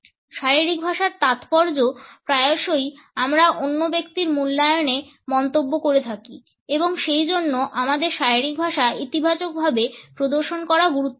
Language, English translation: Bengali, The significance of body language has often been commented on in our appraisal of the other person and therefore, it is important for us to exhibit our body language in a positive manner